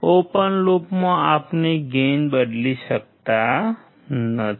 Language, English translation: Gujarati, In open loop, we cannot change gain